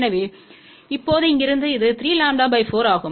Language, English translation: Tamil, So, now, from here this is 3 lambda by 4